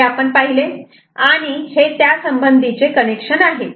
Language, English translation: Marathi, So, this is what we have seen, this is the corresponding connection